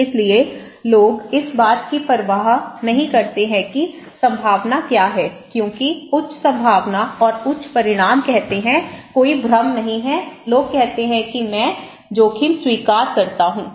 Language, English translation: Hindi, So, people don’t care when the probability is let’s say high probability and high magnitude, there is no confusion, people say okay, I accept the risk